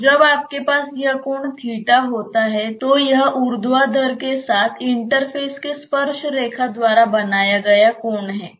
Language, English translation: Hindi, So, when you have this angle as theta this is the angle made by the tangent to the interface with the vertical